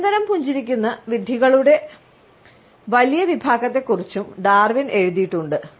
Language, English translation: Malayalam, Darwin has also written about the large class of idiots, who are constantly smiling